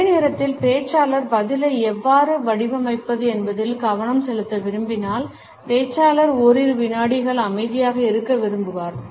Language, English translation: Tamil, At the same time if the speaker wants to focus on how to frame the reply, the speaker may also prefer to remain silent for a couple of seconds